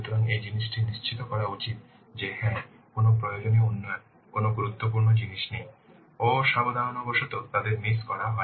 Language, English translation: Bengali, So this thing should be ensured that yes, no necessary developments, no important things they have been missed inadvertently